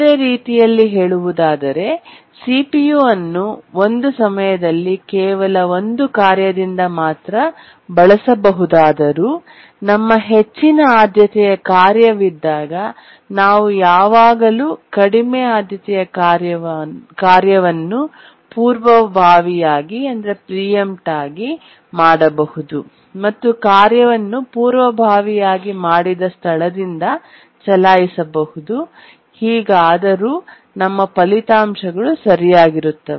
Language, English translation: Kannada, Or in other words, even though CPU can be used by only one task at a time, but then when we have a higher priority task, we can always preempt a lower priority task and later run the task from that point where it was preempted and still our results will be correct